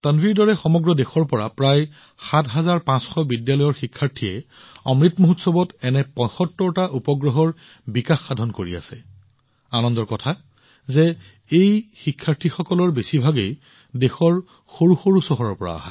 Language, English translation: Assamese, Like Tanvi, about seven hundred and fifty school students in the country are working on 75 such satellites in the Amrit Mahotsav, and it is also a matter of joy that, most of these students are from small towns of the country